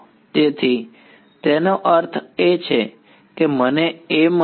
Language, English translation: Gujarati, So; that means, I get A